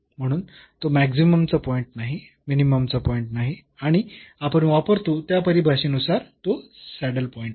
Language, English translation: Marathi, So, it is not a point of maximum, it is not a point of minimum and it is a saddle point as per the definition we use